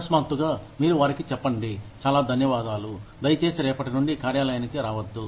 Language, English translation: Telugu, Suddenly, you tell them that, thank you very much, please do not come to the office, from tomorrow